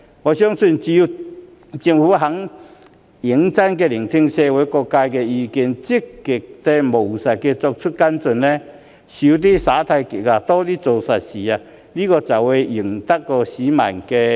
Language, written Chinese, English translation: Cantonese, 我相信，只有政府願意認真聆聽社會各界的意見、積極務實地作出跟進，"少耍太極，多做實事"，才會贏得市民的支持。, I believe that the Government can win public support as long as it is willing to listen seriously to the opinions of different sectors of society follow up issues actively and practically and do more practical work rather than shirking responsibilities